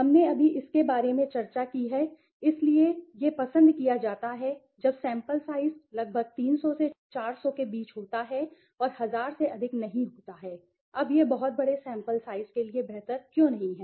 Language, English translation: Hindi, We just discussed about it so this is preferred when the sample size is moderate around 300 to 400 and not exceeding 1000, now why is it not preferable for a very large sample size